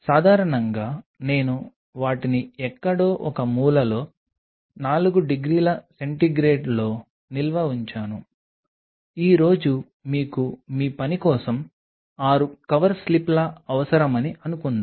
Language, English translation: Telugu, Generally, I used to store them in 4 degrees centigrade somewhere in the corner now suppose today you need 6 covered slips for your work